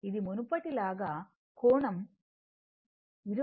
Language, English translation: Telugu, So, it will become 20 angle 36